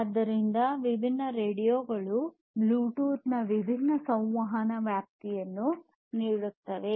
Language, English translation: Kannada, So, different radios will give you different transmission range communication range of Bluetooth